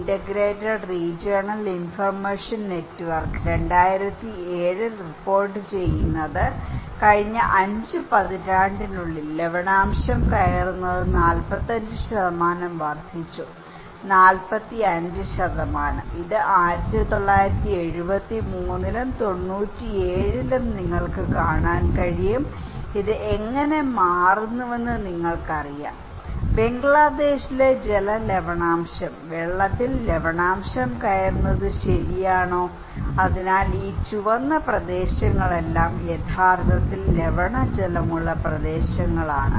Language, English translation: Malayalam, Integrated Regional Information Network, 2007 reporting salinity intrusion has risen by 45% in the last 5 decades, 45%, you can see this one in 1973 and 1997, how this is changing, you know water salinity in Bangladesh, is water salinity intrusion okay, so, these all red areas are actually water saline areas